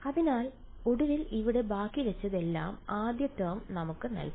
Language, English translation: Malayalam, So, finally, what all did we have left over here, the first term gave us